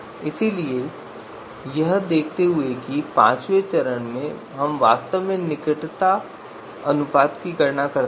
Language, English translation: Hindi, So given you know that in the fifth step we actually compute the closeness ratio